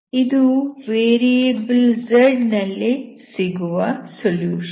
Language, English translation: Kannada, This is the solution in variablez